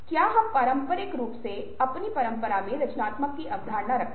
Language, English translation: Hindi, do we traditionally have a concept of creativity in our tradition